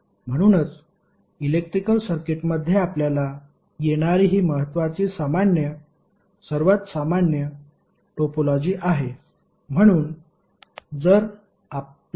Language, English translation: Marathi, So these are the most common topologies you will encounter in the electrical circuits